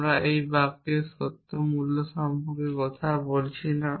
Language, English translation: Bengali, I am not talking about the truth value of these sentences